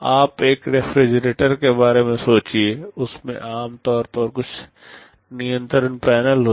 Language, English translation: Hindi, You think of a refrigerator there normally there are some control panels